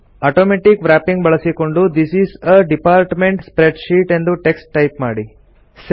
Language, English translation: Kannada, Using Automatic Wrapping type the text, This is a Department Spreadsheet